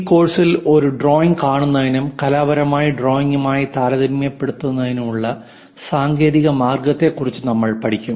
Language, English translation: Malayalam, In this course, we are going to learn about technical way of looking at drawing and trying to compare with artistic drawing also